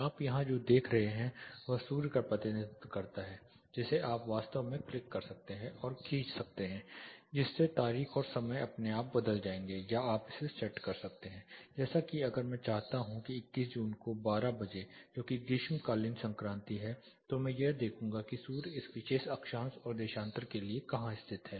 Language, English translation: Hindi, What you see here this one represents the sun actually you can click and drag this your date and time will automatically change here or you can actually set this say if I want at 12 o clock on 21st of June say summer solstice, I will find where the sun is located for this particular latitude and longitude